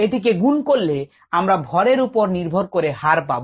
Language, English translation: Bengali, if we multiply that then we get rate on a mass basis